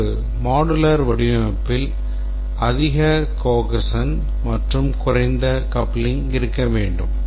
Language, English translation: Tamil, A modular design should display high cohesion and low coupling